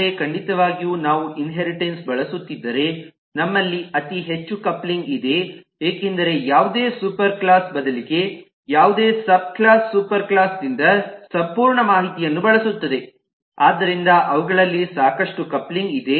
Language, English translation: Kannada, but certainly if we are using inheritance, then we have a very high coupling, because any superclass, rather any subclass, will use the whole lot of information from the superclass